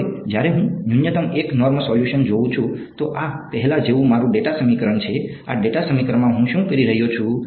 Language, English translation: Gujarati, Now, when I look at minimum 1 norm solution, so this is my data equation as before, in this data equation what am I doing